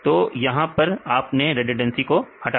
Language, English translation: Hindi, So, this is the redundancy you remove right